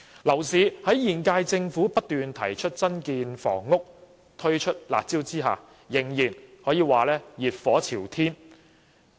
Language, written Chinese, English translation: Cantonese, 樓市在現屆政府不斷提出增建房屋及推出"辣招"之下，仍然熱火朝天。, While the current Government has continuously proposed the construction of additional housing and introduced curb measures the property market is still exuberant